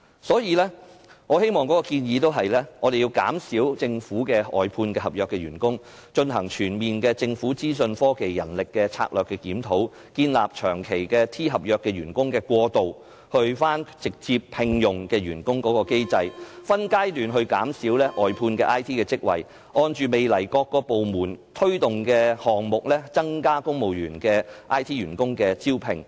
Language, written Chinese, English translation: Cantonese, 所以，我的建議是減少政府的外判合約員工、進行全面的政府資訊科技人力資源策略的檢討、建立長期 T 合約員工過渡到直接聘用的機制、分階段減少外判的 IT 職位，以及按照未來各個部門推動的項目，增加公務員編制下的 IT 員工的招聘。, Hence I suggest a reduction in the number of contract staff of outsourced government services a comprehensive review of the Governments human resources strategy for IT establishment of a mechanism for T - contract staff to be converted to direct employment reduction in phases the number of outsourced IT posts as well as an increase in the recruitment of IT workers in the civil service establishment according to projects launched by various departments in the future